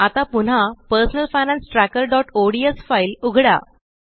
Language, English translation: Marathi, Now open the Personal Finance Tracker.ods file again